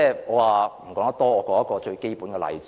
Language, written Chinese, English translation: Cantonese, 我說一個最基本的例子。, Let me give a very simple example